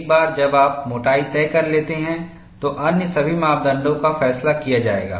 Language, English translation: Hindi, Once you decide the thickness, all other parameters would be decided